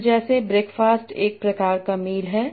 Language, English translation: Hindi, So like breakfast is a kind of meal